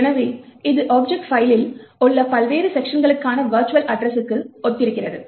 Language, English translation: Tamil, So, this corresponds to the virtual address for the various sections within the object file